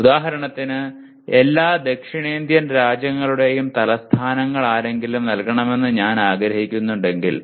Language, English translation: Malayalam, For example if I want to call give me the capitals of all the South Asian countries